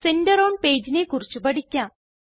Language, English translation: Malayalam, Lets learn about Center on page